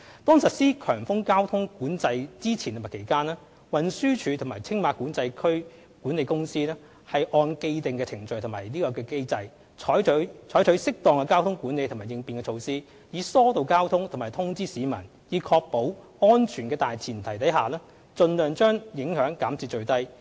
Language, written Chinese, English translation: Cantonese, 當實施強風交通管制之前及期間，運輸署及青馬管制區管理公司按既定程序及機制，採取適當的交通管理和應變措施，以疏導交通及通知市民，在確保安全的大前提下盡量把影響減至最低。, Before and during the implementation of high wind traffic management TD and the management company of TMCA will take traffic management and contingency measures as appropriate in accordance with the established procedures and mechanism to ease traffic flow and notify the public with a view to minimizing the impact as far as practicable while ensuring the safety of motorists